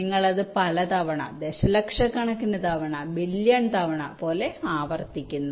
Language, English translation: Malayalam, you are replicating it many times, million number of times, billion number of times like that